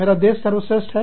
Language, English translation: Hindi, My country is the best